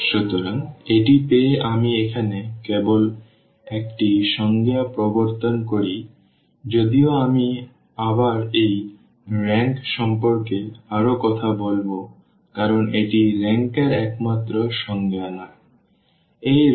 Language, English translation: Bengali, So, having this let me just introduce here one definition though I can you will be talking more about this rank because this is not the only definition for rank